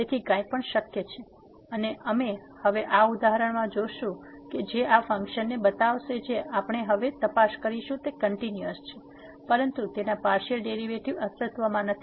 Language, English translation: Gujarati, So, anything is possible and we will see now in this example which shows that this function we will check now is continuous, but its partial derivatives do not exist